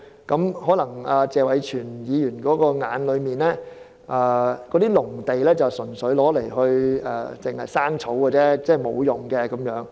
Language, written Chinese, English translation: Cantonese, 或許在謝偉銓議員的眼中，閒置農地純粹滋養雜草，沒有用處。, Perhaps in the eyes of Mr TSE these idle agricultural lands will only nourish weeds and are of no use